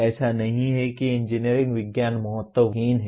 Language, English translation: Hindi, It is not that engineering sciences are unimportant